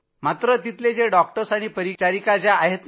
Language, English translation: Marathi, But the doctors and nurses there…